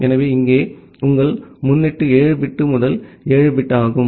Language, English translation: Tamil, So, here your prefix is 7 bit first 7 bit